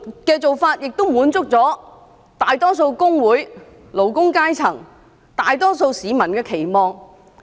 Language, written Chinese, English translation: Cantonese, 這做法亦滿足了大部分工會、勞工階層及大多數市民的期望。, What is more this approach can meet the aspirations of most of the trade unions workers as well as the majority of the public